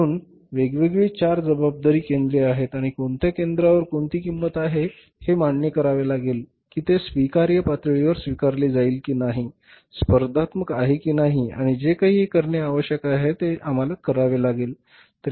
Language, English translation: Marathi, So there are the different four responsibility centers and we will have to find out at which center what cost is there whether it is accept at the acceptable level whether it is competitive or not and anything is if it required to be done we will have to do that